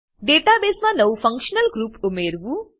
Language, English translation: Gujarati, * Add a new functional group to the database